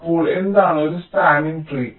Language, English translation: Malayalam, this form a spanning tree